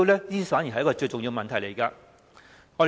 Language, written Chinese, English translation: Cantonese, 這反而是最重要的問題。, That is the most important question